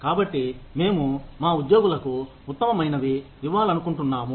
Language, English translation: Telugu, So, we want to give our employees, the best